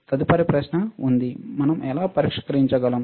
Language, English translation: Telugu, There is the next question, how we can test